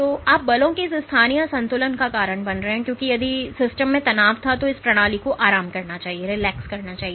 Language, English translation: Hindi, So, you are causing this localized imbalance of forces because of which if there was tension in the system, this system should relax